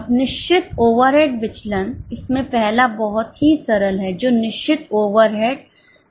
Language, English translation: Hindi, Now, fixed overhead variances again, first one is very simple, that is fixed overhead cost variance